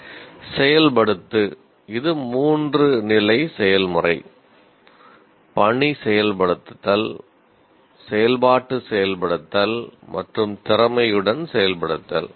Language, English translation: Tamil, it is a three stage process, task execution, operational execution and skilled execution